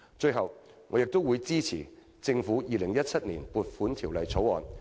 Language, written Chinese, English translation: Cantonese, 最後，我會支持政府的《2017年撥款條例草案》。, To conclude I support the Governments Appropriation Bill 2017